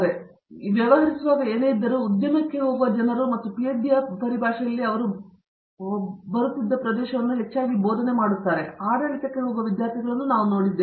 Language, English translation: Kannada, The whole range in whatever we deal with, there are people who go into the industry and in terms of PhD as I mentioned the openings that they get into are mostly in teaching, but we have had students who go into administration